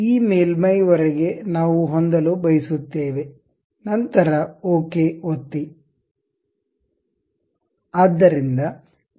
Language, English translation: Kannada, Up to this surface we would like to have, then click ok